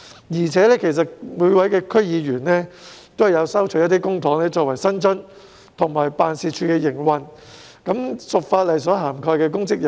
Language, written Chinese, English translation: Cantonese, 而且，區議員亦收取公帑作為薪津和支付辦事處的營運開支，屬法例所涵蓋的公職人員。, Besides DC members also receive public money as their salaries and remunerations and they also pay for their offices operational expenses with public money so they should be regarded as public officers under the law